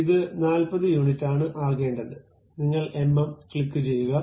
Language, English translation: Malayalam, This one supposed to be something like 40 units you would like to have mm click ok